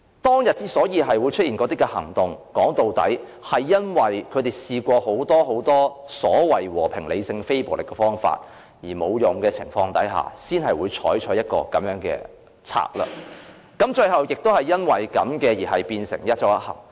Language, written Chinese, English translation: Cantonese, 當天出現那些行動，說到底，是因為他們在試過很多所謂和平、理性、非暴力的方法，但結果也沒有用的情況下，才會採取這樣的策略，最後也因此而變成"一周一行"。, The ultimate reason leading to those radical actions was that the residents had tried many other ways in a peaceful rational and non - violent manner but in vain and so they were left with no alternative but to resort to other means which eventually resulted in the implementation of one trip per week